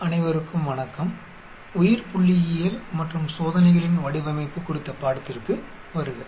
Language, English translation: Tamil, Welcome to the course on a Biostatistics and Design of Experiments